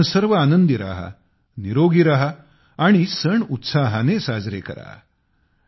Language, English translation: Marathi, You all be happy, be healthy, and rejoice